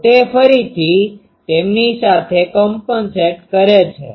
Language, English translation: Gujarati, So, a again compensates with them